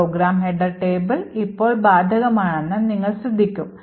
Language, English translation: Malayalam, Further you will note that the program header table is now applicable now